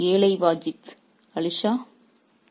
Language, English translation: Tamil, Oh oh poor Vajid Ali Shah